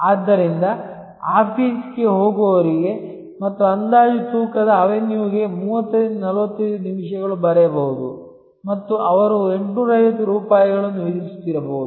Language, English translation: Kannada, So, it is easier to for an office goer and estimated weight avenue a write that may be 30 to 45 minutes and they may be charging 850 rupees